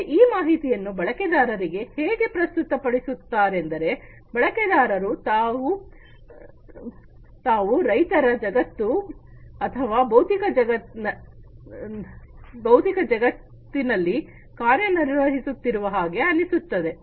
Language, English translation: Kannada, So, this information to the user is presented in such a way that the user feels that the user is operating is acting in the real world or physical world